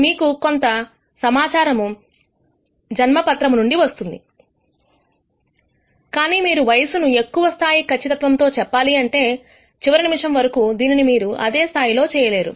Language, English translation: Telugu, Maybe you might need the information from the birth certificate, but if you want to predict the age with higher degree of precision, let us say to the last minute, you may not be able to do it with the same level of con dence